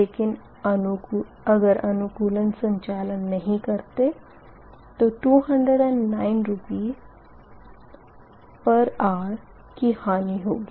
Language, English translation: Hindi, so if you do not ah operate optimally, you will be looser by two hundred nine rupees per hour